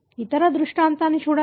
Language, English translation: Telugu, Look at the other scenario